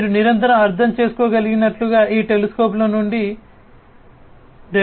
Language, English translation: Telugu, And so as you can understand continuously in the, so much of data are coming from these telescopes